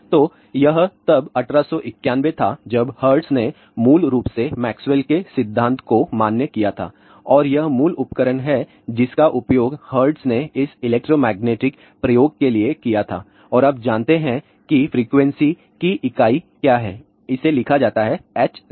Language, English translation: Hindi, So, then it was eighteen ninety one when hertz basically validated Maxwell's theory and this is the original apparatus used by hertz for this electromagnetic experiment and you know what is the unit of the frequency it is given by hertz